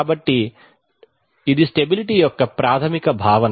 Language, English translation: Telugu, So this is the basic concept of stability